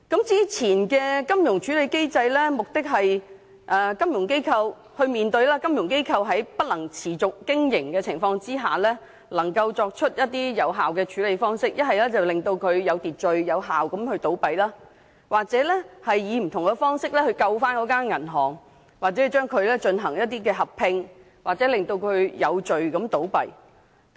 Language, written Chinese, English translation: Cantonese, 早前設立的金融機構處置機制，其目的是令金融機構在面對不能持續經營的情況下，能夠作出有效的處理方法，令機構有秩序、有效地倒閉，又或以不同方式拯救銀行，例如進行合併或令其有序地倒閉。, The resolution regime for financial institutions established some time ago aims to enable a financial institution which is about to become non - viable to take effective measures so that the institution can close down in an orderly effective manner or to rescue a bank in different ways such as implementing a merger or enabling the institution to close down in an orderly manner